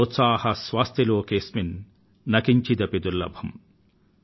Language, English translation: Telugu, Sotsaahasya cha lokeshu na kinchidapi durlabham ||